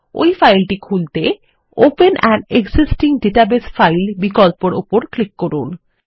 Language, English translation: Bengali, To do so, let us click on the open an existing database file option